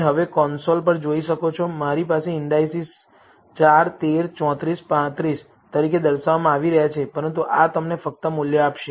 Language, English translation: Gujarati, Now So, you can see on the console, I have the indices being displayed as 4 13 34 35, but this will give you only the value